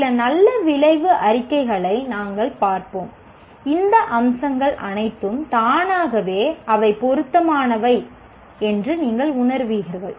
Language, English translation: Tamil, We will look at some good outcome statements and all these features will automatically will feel they are relevant